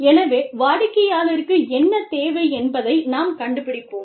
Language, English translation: Tamil, So, we find out, what the client needs